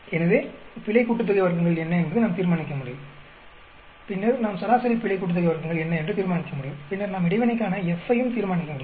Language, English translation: Tamil, So, we can determine, what is the error sum of squares; then we can determine what is that mean error sum of squares; then we can determine the F for the interaction also